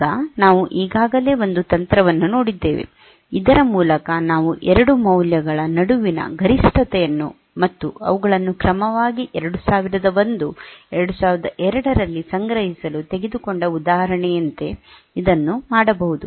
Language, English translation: Kannada, Now we have already seen one technique by which we can do this like the example we have taken to get the maximum of the 2 values are stored a 2002 2001